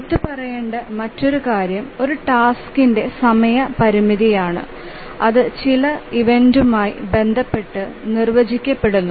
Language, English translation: Malayalam, Now another thing that we want to mention is that the timing constraint on a task is defined with respect to some event